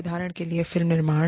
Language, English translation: Hindi, For example, film production